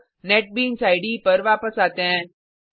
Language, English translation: Hindi, Now go back to the Netbeans IDE